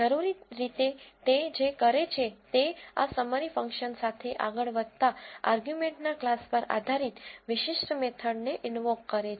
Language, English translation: Gujarati, Essentially what it does is it invokes particular methods depending upon the class of the argument that goes along with this summary function